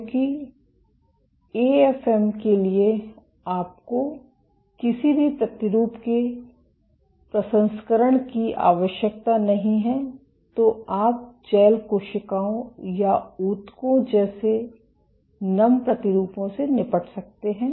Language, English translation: Hindi, Because for AFM you do not require any sample processing; so, you can deal with wet samples like gels, cells or even tissues